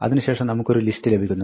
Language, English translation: Malayalam, Then, we get a list